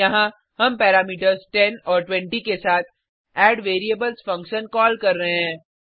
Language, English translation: Hindi, Here, we are calling addVariables function with parameters 10 and 20